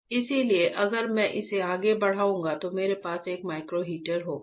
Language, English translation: Hindi, So, if I go back right what I have is a micro heater